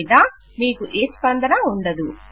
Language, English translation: Telugu, Otherwise you wont get any response